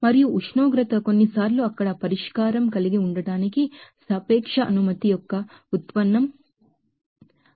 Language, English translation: Telugu, And the temperature sometimes you know derivative of the relative permittivity up to have the solution there